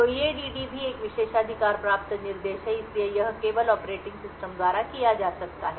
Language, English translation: Hindi, So EADD is also a privileged instruction and therefore it can only be done by operating system